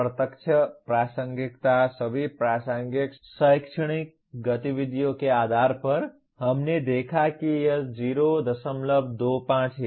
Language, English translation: Hindi, Direct attainment based on all relevant academic activities we saw it is 0